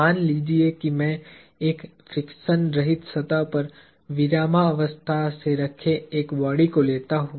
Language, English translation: Hindi, Let us say I take a block sitting at rest on a friction less surface